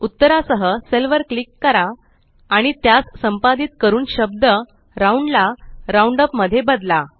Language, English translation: Marathi, Lets click on the cell with the result and edit the term ROUND to ROUNDUP